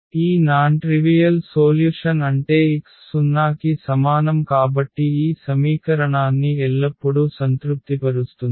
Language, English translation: Telugu, So, meaning this non trivial solution because x is equal to 0 will always satisfy this equation